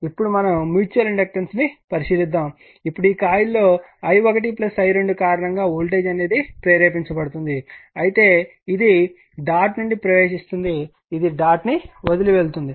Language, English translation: Telugu, Now let us consider the mutual inductance, now it will be this coil in this coil voltage will be induced due to i 1 plus i 2, but it is by entering the dot leaving the dot